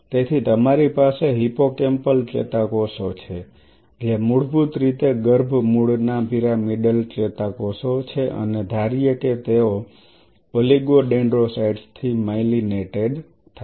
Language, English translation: Gujarati, So, you have hippocampal neurons which are basically the pyramidal neurons of embryonic origin and he wanted them to get myelinated with oligodendrocytes